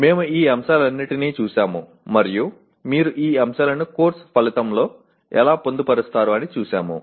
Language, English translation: Telugu, We looked at all these elements and how do you incorporate these elements into a Course Outcome